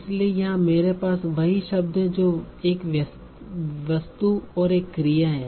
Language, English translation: Hindi, So here I have the same word make which is having an object and a verb